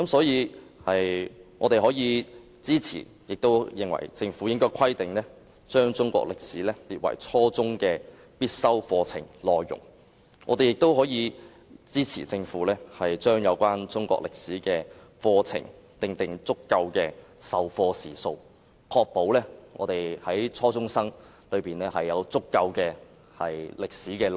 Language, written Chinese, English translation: Cantonese, 因此，我們支持政府將中國歷史科列為初中必修科，以及就中史課程訂定足夠的授課時數，以確保初中生能充分接收清晰的內容。, For this reason we support the Government in making Chinese History a compulsory subject at junior secondary level and designating sufficient teaching hours for the Chinese History curriculum to ensure that junior secondary students can receive clear and sufficient contents